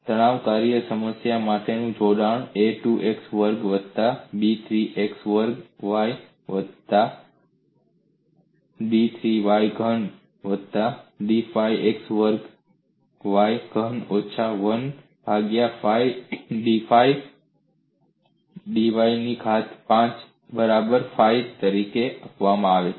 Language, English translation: Gujarati, The stress function for this problem is given as phi equal to a 2 x square plus b 3 x squared y plus d 3 y cube plus d 5 x square y cube minus 1 by 5 d 5 y power 5